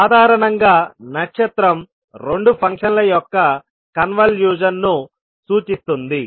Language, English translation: Telugu, Basically the asterisk will represent the convolution of two functions